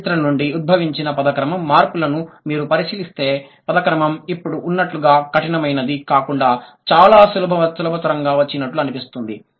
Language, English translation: Telugu, If you look at the word order changes that emerge from the history of English, in Old English the word order was mostly free